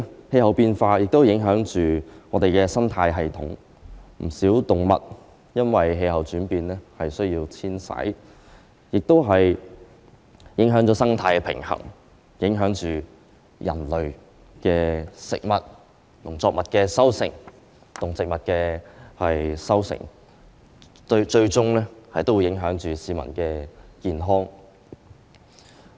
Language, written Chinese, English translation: Cantonese, 氣候變化亦影響生態系統，不少動物因為氣候轉變而需要遷徙，影響了生態平衡，影響人類的食物、農作物的收成及動植物的生長，最終亦影響市民的健康。, Climate change has also affected the ecosystem . With the changes in climate migration becomes necessary for many animals and this has upset the ecological balance affecting the harvest of crops our food and the growth of animals and plants . In the end peoples health will also be affected